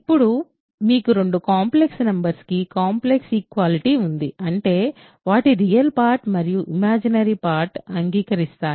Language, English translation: Telugu, Now, you have a complex equality of two complex numbers; that means, their real parts and their imaginary parts agree